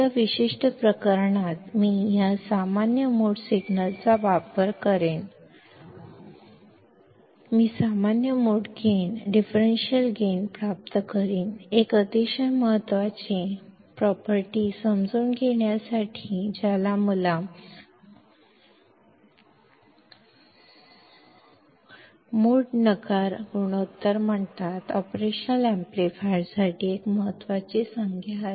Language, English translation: Marathi, So, in this particular case; I will use this common mode signal, I will use the common mode gain, differential gain; to understand a very important property which is called thecommon mode rejection ratio; a very important term for an operational amplifier